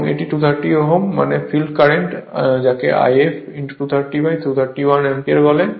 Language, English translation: Bengali, And this is 230 ohm; that means field current your what you call I f 230 upon 231 ampere